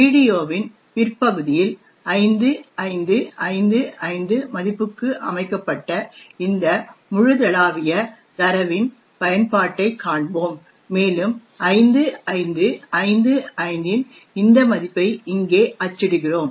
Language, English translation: Tamil, In a later part of the video we will see the use of this global data which is set to a value of 5555 and we print this value of 5555 over here